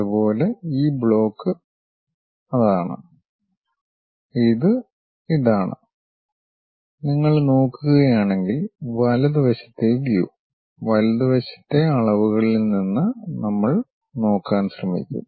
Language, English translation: Malayalam, Similarly, this block is that and this one is that and right side view if you are looking at it, from right side dimensions we will try to look at